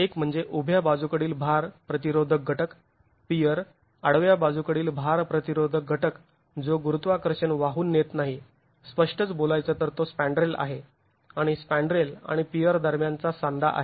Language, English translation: Marathi, One is the vertical lateral load resisting element, the pier, the horizontal lateral load resisting element which does not carry gravity strictly speaking, that's the spandrel and the joint between the spandrel and the peer